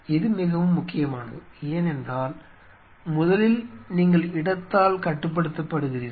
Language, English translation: Tamil, This is very critical because first of all you are constrained by space